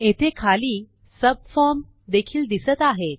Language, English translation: Marathi, Notice it also shows a subform at the bottom